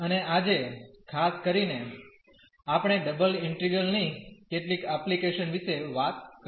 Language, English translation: Gujarati, And today in particular we will be talking about some applications of double integral